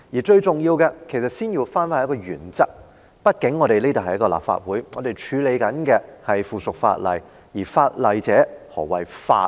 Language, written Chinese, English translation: Cantonese, 最重要的是，首先要回到一個原則上，畢竟這裏是立法會，我們正在處理的是附屬法例，而法例者，何謂法呢？, The most important point is that we should first return to one fundamental principle . After all this is the Legislative Council and we are dealing with a piece of subsidiary legislation . As to legislation what does legislation mean?